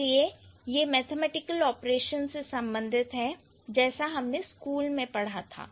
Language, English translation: Hindi, So, these are related to the mathematical, like how we studied in school